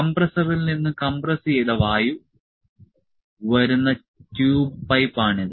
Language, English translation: Malayalam, So, this is the tube pipe from which compressed air is coming from the compressor